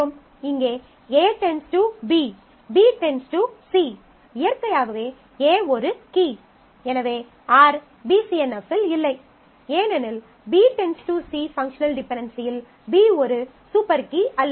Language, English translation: Tamil, So, here A determines B; B determine C naturally A is the key; R is not in BCNF because B determining C is a functional dependency where B is not a super key